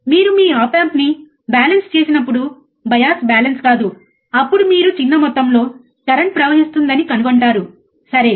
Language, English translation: Telugu, When you balanced your op amp, not bias balance, your op amp, then the small amount of current that you find, right